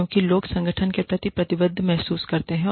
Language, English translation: Hindi, Because, people feel committed, to the organization